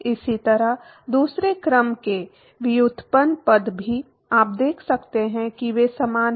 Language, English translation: Hindi, Similarly, the second order derivative term also, you can see that they are similar